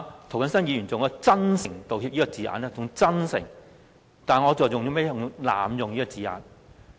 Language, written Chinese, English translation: Cantonese, 涂謹申議員以"真誠道歉"這字眼，但我卻認為這是濫用了這字眼。, Mr James TO has used the wording sincerely apologize yet I believe he has used the words too lightly